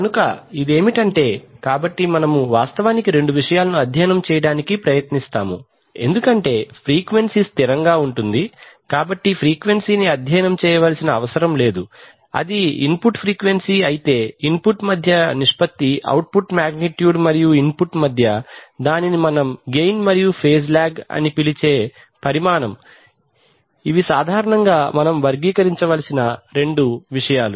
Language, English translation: Telugu, So it is this, so we actually try to study two things, since the frequency is going to remain constant, so the frequency need not be studied it is the input frequency itself but the ratio between the input, between the output magnitude and the input magnitude which we call the gain and the phase lag these are the two things that we typically characterize